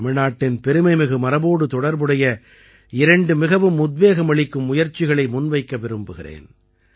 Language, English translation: Tamil, I would like to share with you two very inspiring endeavours related to the glorious heritage of Tamil Nadu